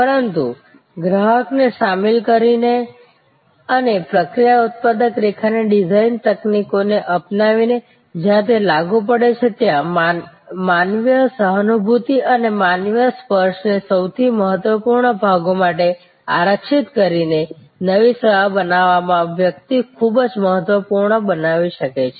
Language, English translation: Gujarati, But in creating a new service by involving the customer and adopting process flow manufacturing line design techniques, where it is applicable, reserving human empathy and a human touch for the most critical portions, one can create very profitable